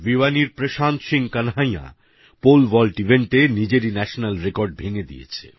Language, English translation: Bengali, Prashant Singh Kanhaiya of Bhiwani broke his own national record in the Pole vault event